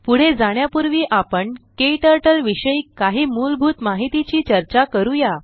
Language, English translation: Marathi, Before proceeding, we will discuss some basic information about KTurtle